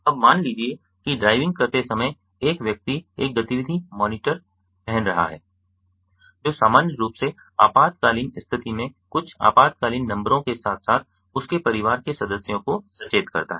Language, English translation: Hindi, now suppose, while driving a person is wearing an activity monitor which normally under emergency, normally alerts some emergency numbers as well as his family members